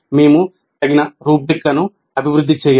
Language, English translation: Telugu, We have to develop suitable rubrics